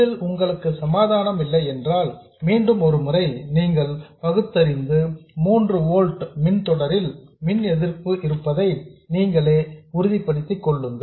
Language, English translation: Tamil, If you are not convinced, please go through the chain of reasoning once again and convince yourselves that this is the same as having 3 volts in series with a resistance